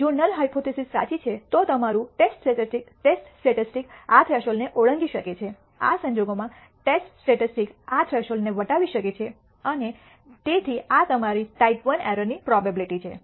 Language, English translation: Gujarati, If the null hypothesis is true your test statistic can exceed this threshold in which case this is the area the probability that that the test statistic can exceed this threshold and therefore, this is your type I error probability